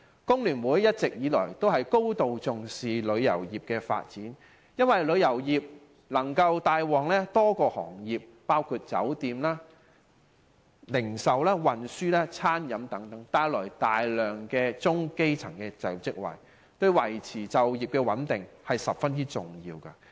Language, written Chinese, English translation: Cantonese, 工聯會一直以來都高度重視旅遊業的發展，因為旅遊業能夠帶旺多個行業，包括酒店、零售、運輸及餐飲等，提供大量中、基層的就業職位，對維持港人就業穩定十分重要。, The Hong Kong Federation of Trade Unions FTU has always attached great importance to the development of tourism as it can invigorate a number of industries including hotel retail transport and catering etc and provide a large number of middle to elementary level job opportunities which is very important to maintaining employment stability among Hong Kong people